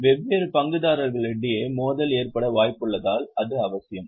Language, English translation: Tamil, It is necessary because of the possibility of conflict between different stakeholders